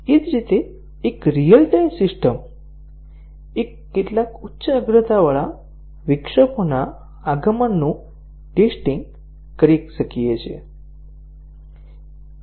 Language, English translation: Gujarati, Similarly, a real time system, we might test the arrival of several high priority interrupts